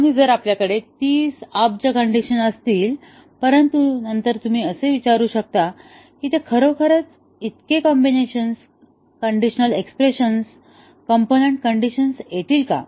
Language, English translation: Marathi, And if we have 30 billion, but then you might ask that do they really occur that many combinations, component conditions in conditional expressions, do they occur